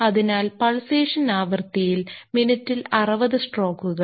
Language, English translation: Malayalam, So, in the pulsation frequency is 60 strokes per minute